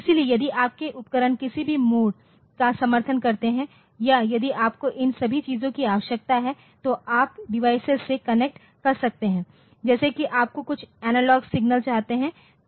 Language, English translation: Hindi, So, you can if your devices support any of these mode or if you if you if you need all this things you can connect to the device, like if you have to have some analogue signal